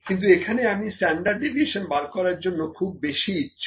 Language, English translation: Bengali, But, I am more interested in finding the standard deviation here